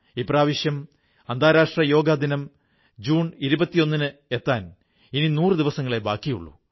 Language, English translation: Malayalam, Less than a hundred days are now left for the International Yoga Day on 21st June